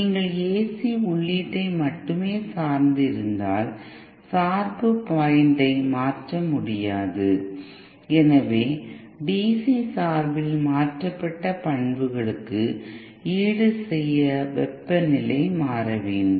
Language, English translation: Tamil, And if you are only dependent on the AC input then the shift could not have been done, so DC bias if the temperature changes to compensate for the changed characteristics